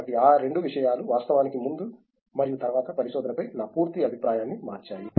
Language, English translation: Telugu, So, these two things actually changed my complete view on research before and after that